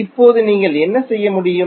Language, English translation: Tamil, Now, what you can do